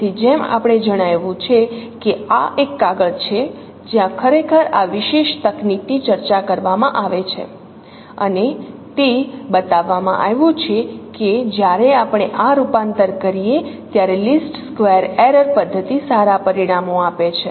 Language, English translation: Gujarati, So as I as as we mentioned that this is a paper where actually this particular technique is discussed and it has been shown that no the square error method is good results when we perform this transformation